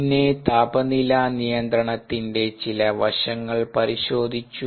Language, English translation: Malayalam, then we looked at some aspects of temperature control